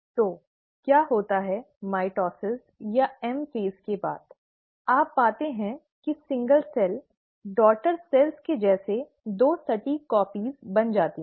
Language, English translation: Hindi, So what happens is, after the mitosis or the M phase, you find that the single cell becomes two exact copies as the daughter cells